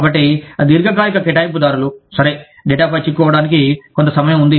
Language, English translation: Telugu, So, long term assignees, okay, there is some time, to get caught up on data